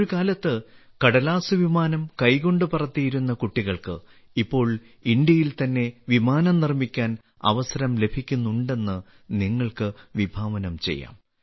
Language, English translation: Malayalam, You can imagine the children who once made paper airplanes and used to fly them with their hands are now getting a chance to make airplanes in India itself